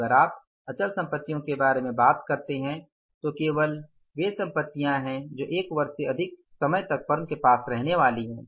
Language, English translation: Hindi, So if you talk about the fixed assets, only these are the assets which are going to stay with the firm for more than one year